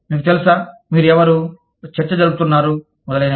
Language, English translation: Telugu, You know, who are you, negotiating with, etcetera